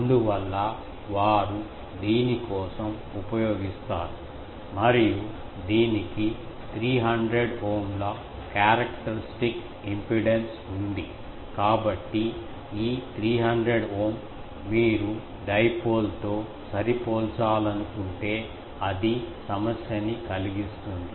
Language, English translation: Telugu, That is why they use for this and it has a characteristic impedance of 300 Ohm; so, this 300 Ohm, if you want to match with a dipole that was problem